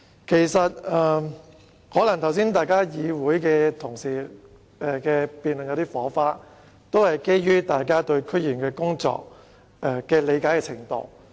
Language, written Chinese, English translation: Cantonese, 剛才同事在辯論時可能有些火花，但相信是基於大家對區議員工作的理解程度不同。, The debate among Honourable colleagues earlier might have sent sparks flying but I believe it is due to Members varied levels of understanding of DC members work